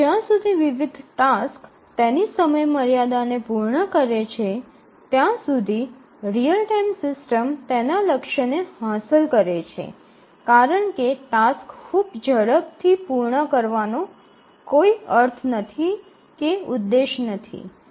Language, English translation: Gujarati, As long as the different tasks meet their deadlines the real time system would have achieved its goal, there is no point in completing the tasks very fast that is not the objective